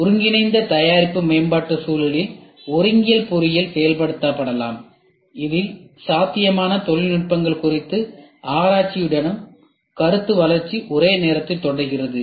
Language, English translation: Tamil, The concurrent engineering can be implemented in an integrated product development environment in which concept development proceeds simultaneously with research into possible technologies